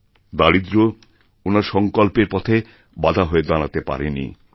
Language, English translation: Bengali, Even poverty could not come in the way of his resolve